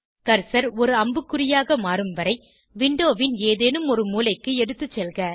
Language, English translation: Tamil, Take the cursor to any corner of the window till it changes to an arrow indicator